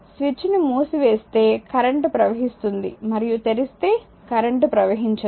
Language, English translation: Telugu, If you close the switch current will flow if you just open it and current will not flow